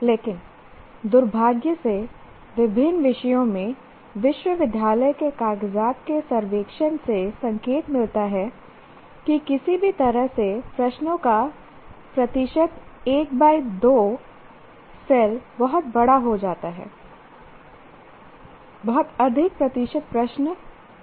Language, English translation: Hindi, But unfortunately what happens is the survey of university papers in various subjects indicates somehow the percentage of questions belong to, let's say 1 comma 2 becomes extremely large, much higher percentage of questions keep going